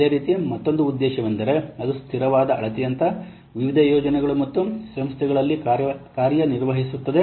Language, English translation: Kannada, And similarly, another objective is it acts as a consistent measure among various projects and organizations